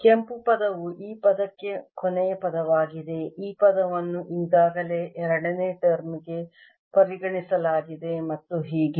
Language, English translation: Kannada, the last term, the red one accounts for this term, this term already accounted for the second term, and so on